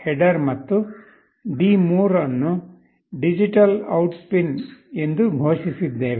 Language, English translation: Kannada, h header, and D3 we have declared as a digital out pin